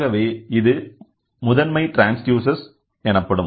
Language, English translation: Tamil, So, what is the secondary transducer